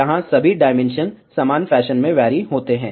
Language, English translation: Hindi, Here all the dimensions vary in the same fashion